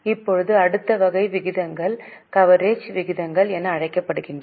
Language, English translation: Tamil, Now the next type of ratios are known as coverage ratios